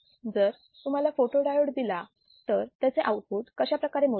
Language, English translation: Marathi, So, if you are given a photodiode, how can you measure the output